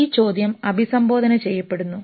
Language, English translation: Malayalam, But this question is being addressed here